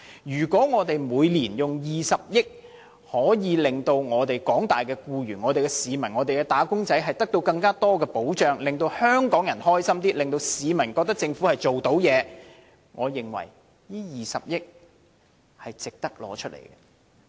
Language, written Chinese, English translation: Cantonese, 如果政府每年花20億元，可以令廣大的市民和"打工仔"得到更多的保障，令香港人快樂一些，令市民認為政府能處理事情，我認為這20億元是值得撥用。, This 2 billion will be well spent if by earmarking such an amount yearly the Government can afford more protection to the general public and workers thus making people happier and having more trust in the abilities of the Government